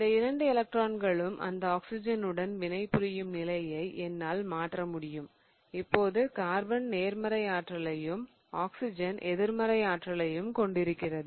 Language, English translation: Tamil, So, I can change the position such that both of these electrons will now go on that oxygen such that now I have a positive charge on this carbon and a negative charge on the oxygen